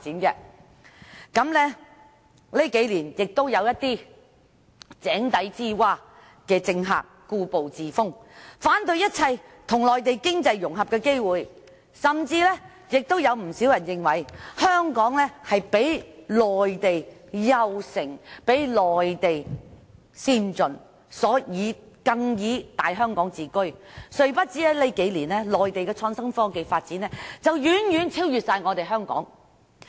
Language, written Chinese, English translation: Cantonese, 在這數年，有一些如井底之蛙的政客故步自封，反對一切與內地經濟融合的機會，甚至有不少人認為，香港較內地優勝和先進，更以"大香港"自居，殊不知在這數年間，內地的創新科技發展已遠遠超越香港。, Over these few years some politicians with a limited vision have stayed in the rut and opposed every opportunity of economic integration with the Mainland . Many of them even hold that Hong Kong is better and more advanced than the Mainland and proclaim the former as the Greater Hong Kong . They have no idea that during these few years the Mainland has far surpassed Hong Kong in the development of innovation and technology